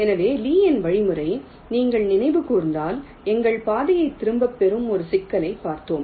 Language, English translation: Tamil, so, lees algorithm: if you recall, we looked at a problem like this where our path was retraced